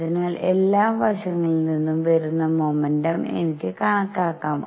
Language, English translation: Malayalam, So, I can calculate the momentum coming from all sides